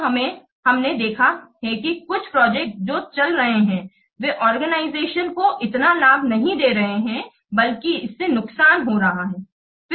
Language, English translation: Hindi, While we have seen that some of the projects which are running they are not giving so much benefit to the organization rather they are incurring losses